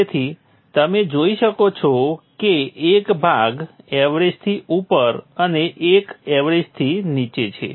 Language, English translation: Gujarati, So you see that the portion above the average and the one below the average